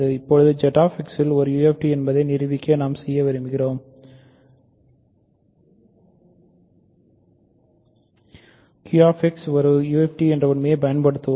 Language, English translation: Tamil, Now, to prove that Z X is a UFD what we want to do is basically use the fact that Q X is a UFD